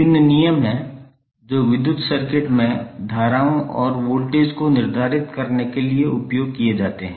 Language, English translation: Hindi, There are various laws which are used to determine the currents and voltage drops in the electrical circuit